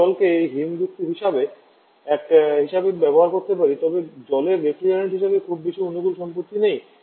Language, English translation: Bengali, We can also use water as a as one of the different but water has not very favourable property as refrigerant